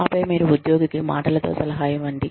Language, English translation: Telugu, And then, you verbally, counsel the employee